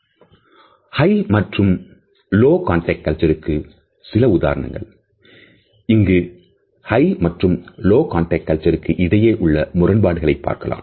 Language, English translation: Tamil, Some examples of higher and lower context culture; here is an example of low versus high context culture